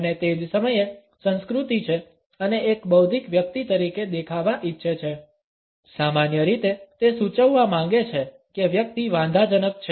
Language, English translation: Gujarati, And at the same time is rather culture and wants to come across as an intellectual person, in general wants to indicate that the person is in offensive